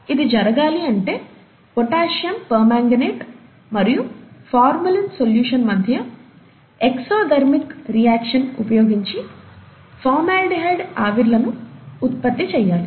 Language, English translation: Telugu, And to make that possible, to generate formaldehyde vapors, what is used is the exothermic reaction between potassium permanganate, and the formalin solution